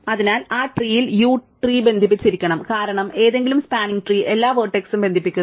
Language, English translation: Malayalam, So, in that tree u must be connected to the tree, because any spanning tree connects all the vertices